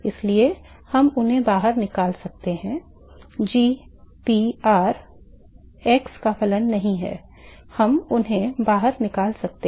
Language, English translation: Hindi, So, we can pull them out g p r is not a function of x we can pull them out pull it out kf is not a function of x that can be pulled out